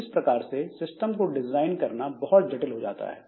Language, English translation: Hindi, So, designing such a system becomes quite complex